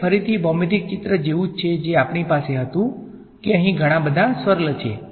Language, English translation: Gujarati, It is again the same as the geometric picture that we had that there are many many swirls over here right